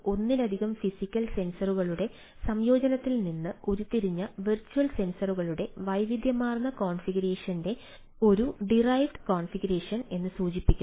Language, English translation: Malayalam, refers to a versatile configuration of virtual sensors derived from a combination of multiple physical sensors